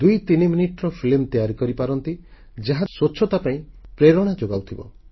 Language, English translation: Odia, You can film a twothreeminute movie that inspires cleanliness